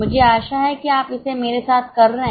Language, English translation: Hindi, I hope you are doing it with me